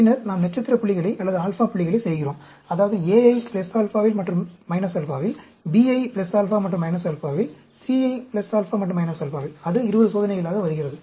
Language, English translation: Tamil, And then, we do the star points, or the alpha points; that means, A at plus alpha and minus alpha, B at plus alpha, minus alpha, C at plus alpha, minus alpha; that comes to 20 experiments